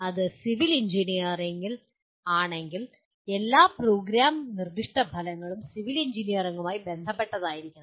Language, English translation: Malayalam, If it is civil Engineering all the program specific outcome should be related to Civil Engineering